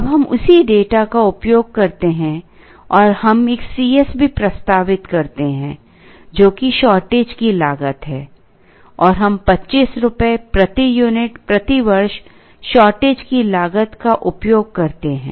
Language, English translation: Hindi, Now, we use the same data and we also introduce a C s, which is the shortage cost and we use shortage cost of rupees 25 per unit per year